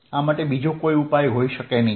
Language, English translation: Gujarati, they can be no other solution